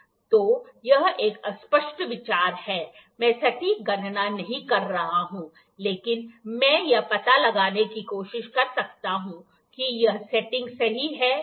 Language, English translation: Hindi, So, this is rough idea, I am not doing the exact calculations, but I can try to find whether this setting is correct or not